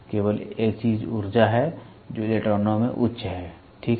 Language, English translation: Hindi, The only thing is the energy which is there in the electrons is higher, ok